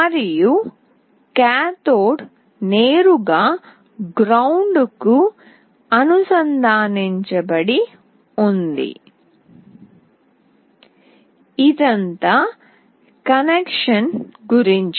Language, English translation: Telugu, And cathode is directly connected to ground, this is all about the connection